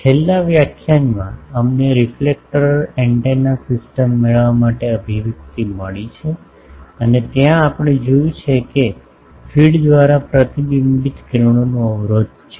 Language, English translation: Gujarati, In the last lecture we have found the expression for gain of the reflector antenna system and there we have seen that there is a blockage of the reflected rays by the feed